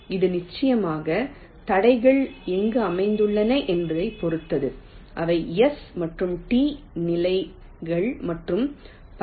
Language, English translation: Tamil, it of course depends on where the obstructions are located, which are the positions of s and t and so on